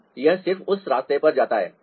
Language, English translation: Hindi, so it just goes on that way